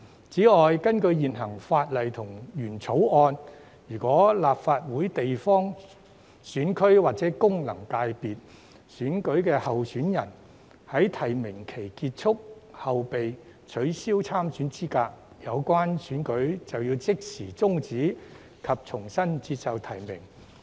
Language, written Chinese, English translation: Cantonese, 此外，根據現行法例及原來的《條例草案》，如果立法會地方選區或功能界別選舉的候選人在提名期結束後被取消參選資格，有關選舉就要即時終止及重新接受提名。, In addition under existing legislation and the original Bill if a candidate in a Legislative Council geographical constituency or functional constituency election is disqualified from standing for election after the close of nominations the election must be terminated immediately and a new nomination must be accepted